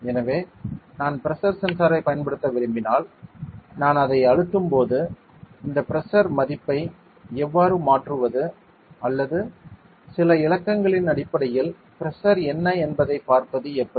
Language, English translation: Tamil, So if I want to use pressure sensor, if I press it then how can I change this pressure value or how can I see what is the pressure there were applying in terms of some digits